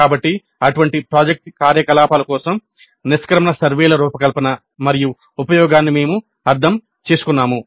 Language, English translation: Telugu, So we understood the design and use of exit surveys for all such project activities